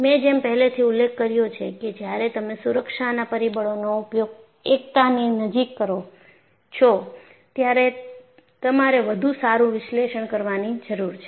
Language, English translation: Gujarati, I had already mentioned that when you use the factor of safety closer to unity, then you need to have better analysis